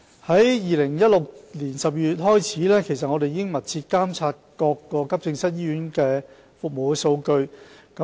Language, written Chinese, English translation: Cantonese, 自2016年12月開始，我們已密切監察各急症醫院的服務數據。, for public reference . Since December 2016 we have been closely monitoring the service statistics of all acute hospitals